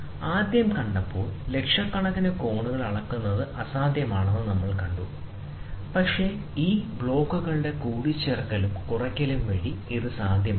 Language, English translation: Malayalam, At first seen, it is impossible to measure hundreds of thousands of angles with few blocks, but it may be possible by addition and subtraction of these blocks